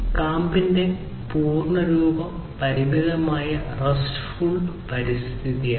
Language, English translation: Malayalam, The full form of core if you recall is Constrained RESTful Environment